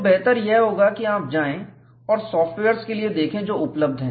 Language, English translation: Hindi, So, it is better, that you go and look for softwares that are available